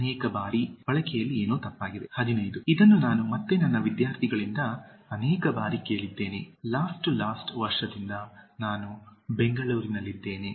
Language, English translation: Kannada, Many times what is wrong with the usage 15) This again I have heard from my students many times, Last to last year I was in Bangalore